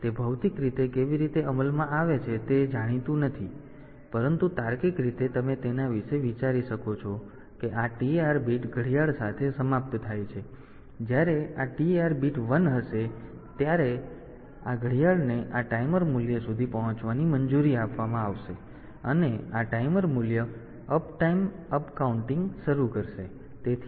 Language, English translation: Gujarati, So, that is not known, but logically you can think about it as if this TR bit is ended with the clock, and when this TR bit is 1 then only this this clock will be allowed to reach this timer value, and this timer value will start uptime upcounting